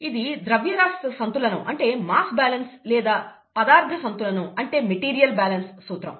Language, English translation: Telugu, This is a principle of mass balance or material balance